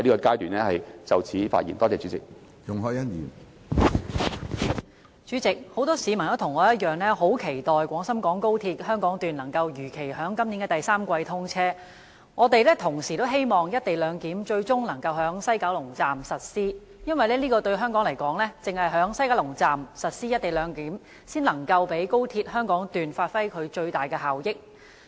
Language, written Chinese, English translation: Cantonese, 主席，我和很多市民一樣，很期待廣深港高速鐵路香港段能如期於今年第三季通車，並希望西九龍站最終能實施"一地兩檢"，因為對香港而言，只有在西九龍站實施"一地兩檢"，才能讓高鐵香港段發揮最大效益。, President like many people in Hong Kong I am looking forward to the commissioning of the Guangzhou - Shenzhen - Hong Kong Express Rail Link XRL as scheduled in the third quarter this year and hoping that the co - location arrangement can finally be implemented at the West Kowloon Station WKS . For the benefits of XRL can be unleashed in full only with the implementation of co - location at WKS